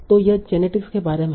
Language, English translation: Hindi, So it's about genetics